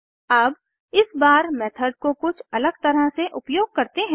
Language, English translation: Hindi, So, let us invoke the method a little differently this time